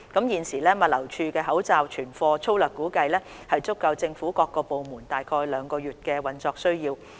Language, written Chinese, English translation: Cantonese, 現時，物流署的口罩存貨粗略估計足夠政府各部門約兩個月的運作需要。, Currently the stock of masks kept by GLD can last for about two months for meeting the needs of government departments